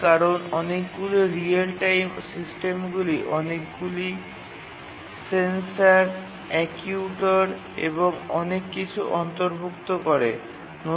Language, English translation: Bengali, Because many of the real time systems, they incorporate many sensors, actuators and so on